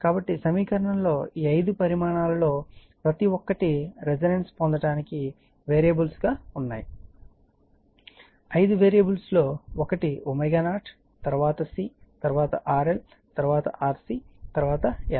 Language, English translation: Telugu, So, each of this five quantities in equation may be made variably in order to obtain resonance there are five five variables right there are five variables one is omega 0 then C then RL then RC then l